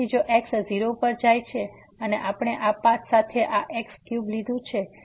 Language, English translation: Gujarati, So, if goes to 0 and we have taken this cube along this path